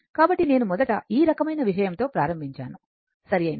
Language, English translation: Telugu, So, I started with this kind of thing first, right